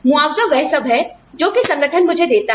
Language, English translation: Hindi, Compensation is all, that the organization, gives me